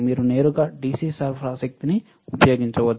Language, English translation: Telugu, You can directly use DC power supply